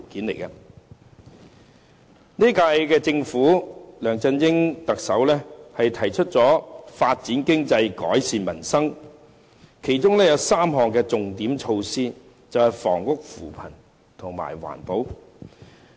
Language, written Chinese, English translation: Cantonese, 本屆政府梁振英特首提出發展經濟，改善民生，其中有3項重點措施，便是房屋、扶貧和環保。, The incumbent Chief Executive of the current Government LEUNG Chun - ying proposes to development the economy and improve the peoples livelihood and has introduced three main measures namely housing poverty alleviation and environmental protection